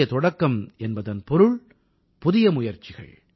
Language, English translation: Tamil, New beginning means new possibilities New Efforts